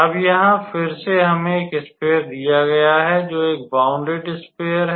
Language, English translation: Hindi, So, now again here we are given a sphere, which is basically again a bounded sphere